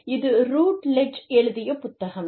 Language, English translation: Tamil, It is a Routledge book